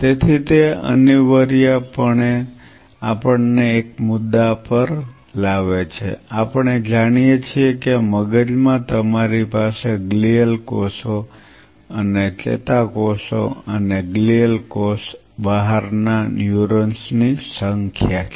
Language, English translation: Gujarati, So, that essentially brings us to a point of course, we know in the brain you have both the glial cells and the neurons and glial cell out numbers the neurons